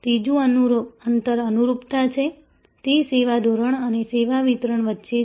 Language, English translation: Gujarati, The third gap is conformance; that is between the service standard and the service delivery